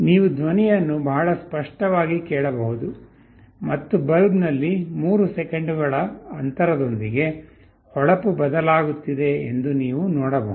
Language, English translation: Kannada, You can hear the sound very clearly, and in the bulb you can see that with gaps of 3 seconds the brightness is changed